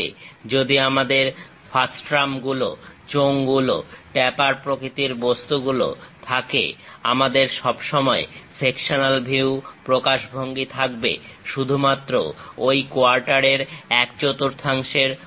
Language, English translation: Bengali, If we have frustums, cylinders, tapered kind of things; we always have the sectional view representation only on that one fourth of that quarter